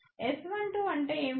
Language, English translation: Telugu, What is S 1 2